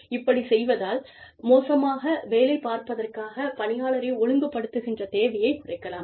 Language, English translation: Tamil, And, that way, the need for disciplining the employee, for poor performance, will go down